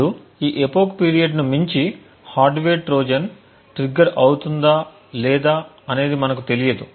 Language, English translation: Telugu, Now beyond this epoch period we are not certain whether a hardware Trojan may get triggered or not